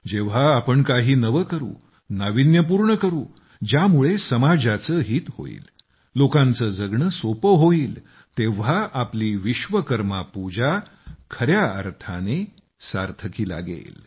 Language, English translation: Marathi, When we do something new, innovate something, create something that will benefit the society, make people's life easier, then our Vishwakarma Puja will be meaningful